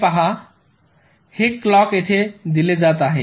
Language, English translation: Marathi, see this: this clock is being fed here